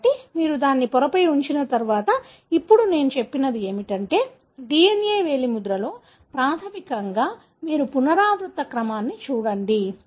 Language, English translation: Telugu, So, once you have it on the membrane, so now what I said was that, in DNA finger printing, basically you look at the repeat sequence